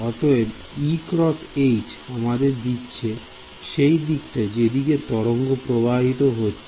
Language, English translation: Bengali, So, E cross H is giving me the direction which the wave is moving ok